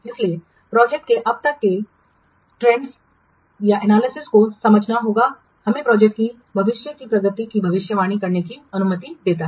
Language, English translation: Hindi, So analyzing and understanding the trends the project so far allows us to predict the future progress of the project